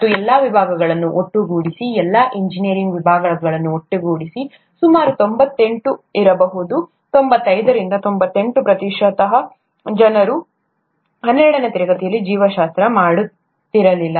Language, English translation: Kannada, And in the case of, all departments put together, all engineering departments put together, about may be ninety eight, ninety five to ninety eight percent would not have done biology in their twelfth standard